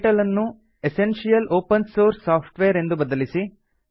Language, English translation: Kannada, Change the title to Essential Open Source Software